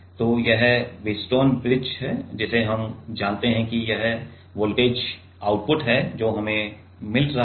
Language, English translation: Hindi, So, this is the Wheatstone bridge we know that this is the voltage output what we are getting right